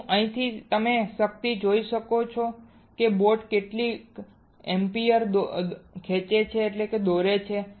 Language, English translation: Gujarati, Is the power here you can see the how much ampere the boat is drawing alright